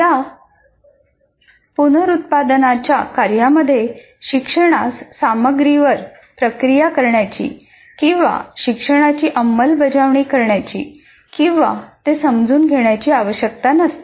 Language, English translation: Marathi, For example, these reproduction tasks do not require the learner to process the material or to apply the learning or even to understand it